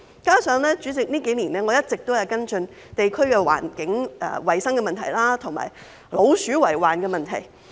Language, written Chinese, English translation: Cantonese, 再者，代理主席，我這幾年一直跟進地區的環境衞生和老鼠為患的問題。, Moreover Deputy President I have been following up the environmental hygiene and rat infestation problems in the districts in recent years